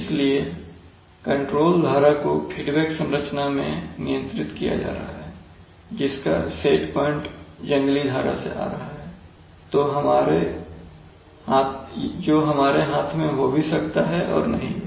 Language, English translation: Hindi, So that we can control the, so the control stream is being controlled in a feedback configuration whose set point is coming from the wild stream which can be, which may or may not be in our hand